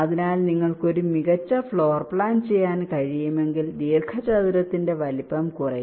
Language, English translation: Malayalam, so if you can have a better floor plan, your that size of the rectangle will reduce